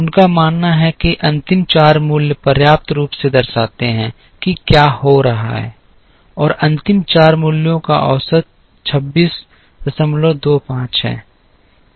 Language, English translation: Hindi, He believes that the last four values adequately represent what is happening and the value and the average of the last four values turns out to be 26